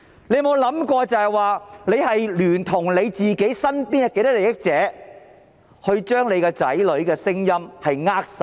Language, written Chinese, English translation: Cantonese, 你有沒有想過你聯同身邊多少的既得利益者將子女的聲音扼殺？, Has it ever occurred to you that you have jointly with many people with vested interests around you stifled the voices of your children?